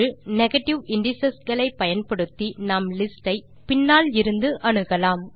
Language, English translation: Tamil, Using negative indices, we can access the list from the end using negative indices